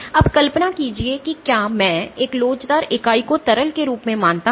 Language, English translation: Hindi, So now imagine if I were to consider an elastic entity as a as a liquid